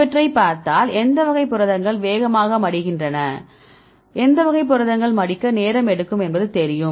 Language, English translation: Tamil, So, if we look in to these which type of proteins fold fast which type of proteins takes time to fold